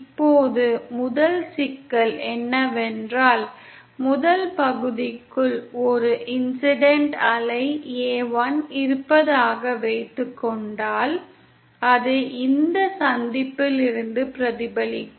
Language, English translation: Tamil, Now the first problem is that, if suppose there is an incident wave a1 entering the first section then it will be reflected from this junction